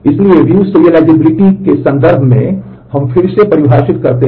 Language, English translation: Hindi, So, using view serializability have certain problems